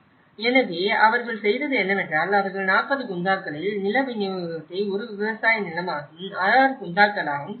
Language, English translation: Tamil, So, what they did was they divided the land distribution in 40 Gunthas as a farmland and 6 Gunthas